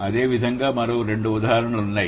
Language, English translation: Telugu, Similarly, there are two other examples